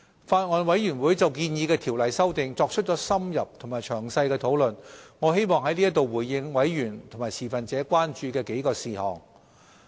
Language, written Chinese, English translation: Cantonese, 法案委員會就建議的條例修訂作出了深入和詳細的討論，我希望在此回應委員和持份者關注的幾個事項。, The Bills Committee conducted in - depth and thorough discussions on the proposed legislative amendments . Now I would like to respond to several concerns of members and stakeholders